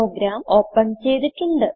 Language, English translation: Malayalam, I have already opened the program